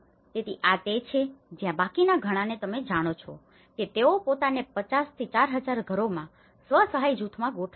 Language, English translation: Gujarati, So, this is where many of these remaining you know they organized themselves into a self help groups 50 to 4,000 households